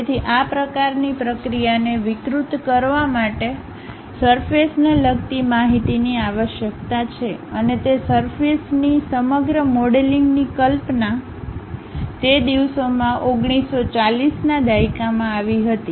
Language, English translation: Gujarati, So, deforming, riveting this kind of process requires surface information and entire surface modelling concept actually came in those days 1940's